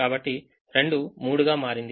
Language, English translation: Telugu, so two becomes three